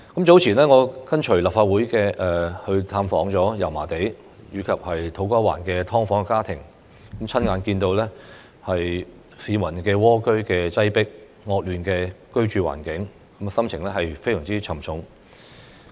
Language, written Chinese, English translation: Cantonese, 早前，我跟隨立法會探訪油麻地及土瓜灣的"劏房"家庭，親眼看到市民蝸居在擠迫、惡劣的居住環境，心情非常沉重。, Earlier on I joined the Legislative Council on a visit to some SDU households in Yau Ma Tei and To Kwa Wan and witnessed with my own eyes people being cramped in a crowded and poor living environment which made me very heavy - hearted